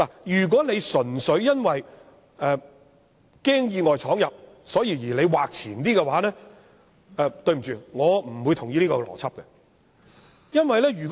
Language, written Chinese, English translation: Cantonese, 如果純粹因為害怕意外闖入而把禁區劃得更前，對不起，我不會同意這個邏輯。, If the closed area extension is simply for fear of any unintentional entry of vehicles I am sorry but I cannot agree with this logic